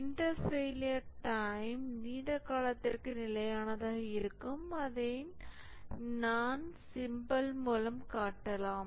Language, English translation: Tamil, The inter failure times remain constant over a long period of time that we have shown this symbol